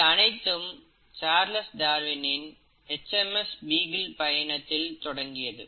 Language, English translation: Tamil, And, it all started with this interesting trip which Charles Darwin took on HMS Beagle